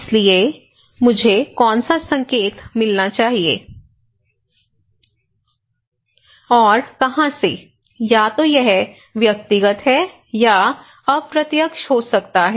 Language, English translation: Hindi, so, which informations I should get and from where so, either it is personal, it could be indirect